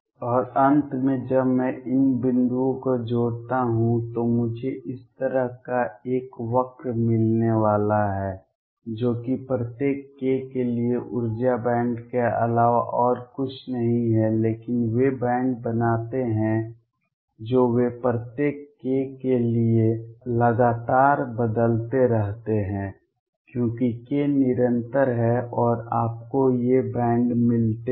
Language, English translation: Hindi, And finally, when I join these points I am going to get a curve like this which is nothing but the energy band for each k there are several energies, but they form bands they continuously changing for each k because k is continuous and you get these bands